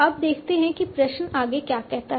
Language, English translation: Hindi, Now let us see what the question says further